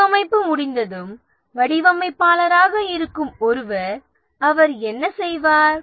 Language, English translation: Tamil, Somebody who is a designer, once design is complete, what does he do